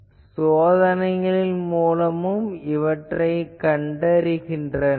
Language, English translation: Tamil, But people have found out experimentally also